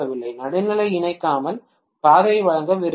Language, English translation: Tamil, If I want to provide the path without connecting the neutral, right